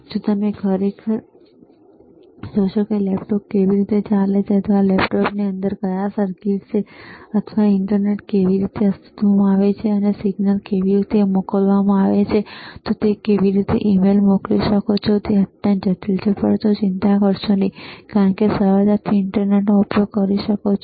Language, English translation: Gujarati, If you really see how laptop operates or how the what are the circuits within the laptop, or how the internet is you know comes into existence, and how the signals are sent, how you can send, an email, it is extremely complicated, super complicated, but do not you worry no because you can easily use internet